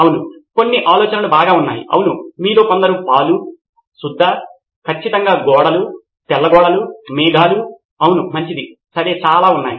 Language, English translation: Telugu, Well, yeah some of the ideas are, yes correct some of you guessed milk yeah, chalk, sure walls, white walls yeah, clouds yeah that’s a good one, okay yeah so many of those